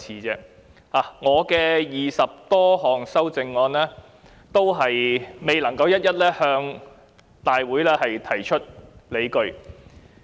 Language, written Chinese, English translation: Cantonese, 就我的20多項修正案，我未能一一在會議中提出理據。, Regarding the 20 amendments or so that I have proposed I am unable to justify each of them in the meeting